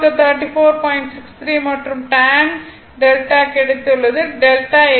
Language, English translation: Tamil, 63 and tan delta, delta is 18